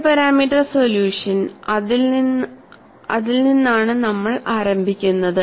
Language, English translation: Malayalam, And we look at what happens in the case of 2 parameters solution